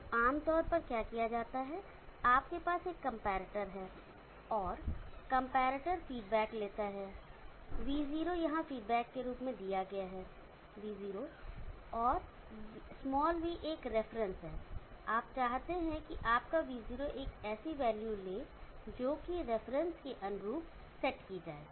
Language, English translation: Hindi, So generally what is done is that, you have a comparator, and the comparator takes feedback V0 is given as feed back here, V0 and there is a v not reference, you want your V0 to take a value as said by the reference